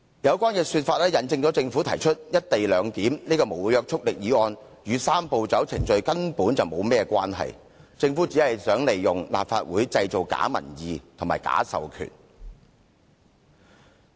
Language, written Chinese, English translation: Cantonese, 有關說法引證政府提出"一地兩檢"這項無約束力議案與"三步走"程序根本無甚關係。政府只是想利用立法會製造假民意和假授權。, Her words prove that there is essentially no connection between the non - binding government motion and the Three - step Process The Government only wants to use the Legislative Council as a means of fabricating public opinions and creating a false mandate